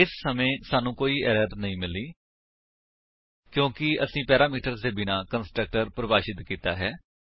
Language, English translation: Punjabi, This time we see no error, since we have defined a constructor without parameter